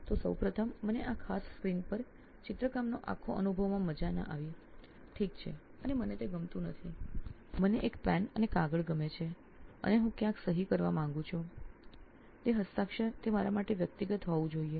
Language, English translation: Gujarati, is that is that what I signed, so first of all I did not enjoy the whole experience of drawing on this particular screen, okay and I do not like it, I like a pen and paper and I want to sign somewhere if it is a signature it has to be that personal to me